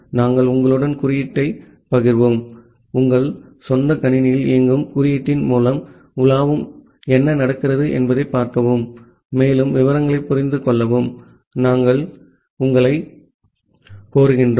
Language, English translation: Tamil, We will share the code with you, we will request you to browse through the code run into your own machine and see what is happening and understand it more details